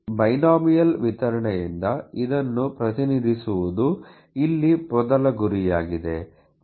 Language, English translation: Kannada, So, the first goal here is to represent this by a binomial distribution